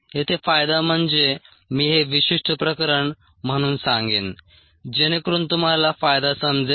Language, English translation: Marathi, let me talk of this as specific case so that you will understand the advantage here